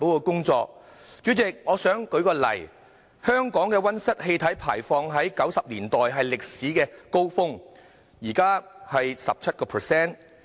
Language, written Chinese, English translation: Cantonese, 舉例而言，香港的溫室氣體排放在1990年代達到歷史高峰，現在則為 17%。, For instance the level of greenhouse gas emission in Hong Kong reached its historic peak in the 1990s while it is now at 17 %